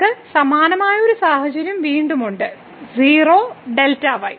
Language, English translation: Malayalam, So, we have a similar situation again; the 0 delta